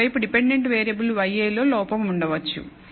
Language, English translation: Telugu, On the other hand the dependent variable y i could contain error